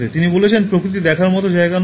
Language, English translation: Bengali, He says: “Nature is not a place to visit